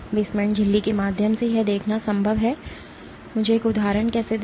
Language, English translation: Hindi, It is possible to see through the basement membrane, how let me give an example